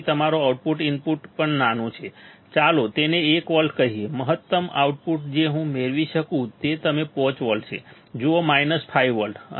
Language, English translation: Gujarati, So, even your output input is small, let us say 1 volt, the maximum output that I can get is you see 5 volts, minus 5 volts